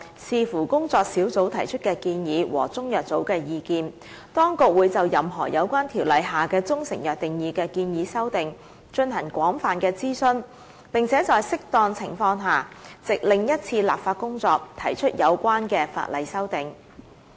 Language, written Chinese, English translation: Cantonese, 視乎工作小組提出的建議和中藥組的意見，當局會就任何有關《條例》下的中成藥定義的建議修訂，進行廣泛諮詢，並且在適當情況下，藉另一次立法工作提出有關的法例修訂。, Subject to the recommendations to be made by the working group and the view of CMB extensive consultations would be conducted on any proposed amendments to the definition of proprietary Chinese medicine in CMO . The Administration would as and when appropriate propose the relevant legislative amendments in a separate legislative exercise